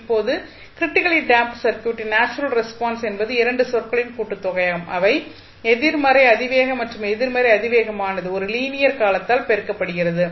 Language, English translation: Tamil, Now, the natural response of the critically damped circuit is sum of 2 terms the negative exponential and negative exponential multiplied by a linear term